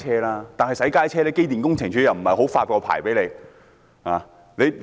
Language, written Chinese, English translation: Cantonese, 但是，對於小型洗街車，機電工程署又沒有發太多牌照。, But the Electrical and Mechanical Services Department EMSD has not issued too many licences in regard to mini - mechanical sweepers